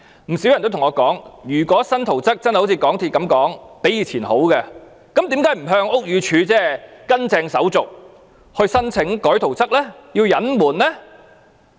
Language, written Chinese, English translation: Cantonese, 不少人曾向我說，如果新圖則真的如港鐵公司所說般較以前的好，為何不依從正式手續向屋宇署申請改動圖則而要隱瞞呢？, Quite a large number of people have said to me that if the new drawings are truly better than the old ones as claimed by MTRCL why did it not follow the formal procedures to apply to BD for alteration of the drawings but had to cover it up?